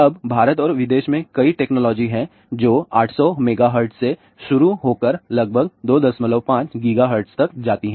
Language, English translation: Hindi, Now there are several technologies are there in India and abroad which starts from 800 megahertz goes up to about 2